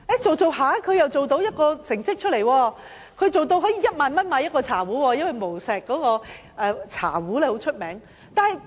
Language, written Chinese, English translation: Cantonese, 他後來做出成績，一個茶壺的售價是1萬元，因為無錫的茶壺很有名。, He attained some success later . His teapot is sold at RMB10,000 each as Wuxi teapots are really famous